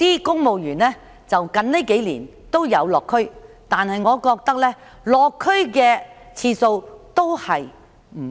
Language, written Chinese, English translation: Cantonese, 公務員近年都有落區，但我認為次數不足。, Civil servants have conducted district visits in recent years but I think the number of visits is inadequate